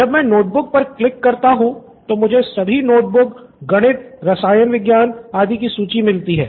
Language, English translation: Hindi, Notebook I click I get all the list of notebooks mathematics, chemistry what not